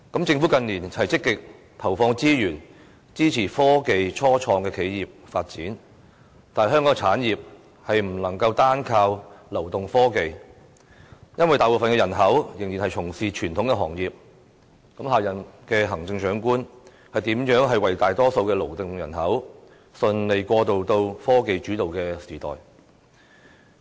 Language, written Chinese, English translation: Cantonese, 政府近年積極投放資源，支持科技初創企業發展，但香港的產業不能單靠流動科技，因為大部分人口仍然從事傳統行業，下任行政長官如何讓大多數的勞動人口順利過渡到科技主導的時代呢？, In recent years the Government has made active resource investments in supporting the development of technology start - ups . But the point is that the industrial development of Hong Kong cannot depend solely on mobile technology because most of its people are still engaged in conventional industries . How is the next Chief Executive going to enable the majority of the workforce to move smoothly into the technology - led era?